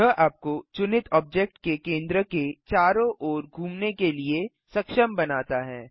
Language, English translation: Hindi, This enables you to orbit around the center of the selected object